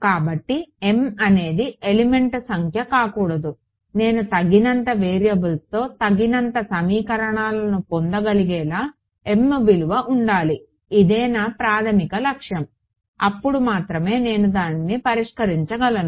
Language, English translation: Telugu, So, m cannot be element number, m will be something else such that I get enough equations in enough variables that is my objective only then I can solve it right